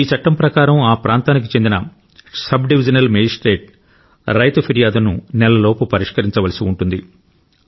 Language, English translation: Telugu, Another notable aspect of this law is that the area Sub Divisional Magistrate SDM has to ensure grievance redressal of the farmer within one month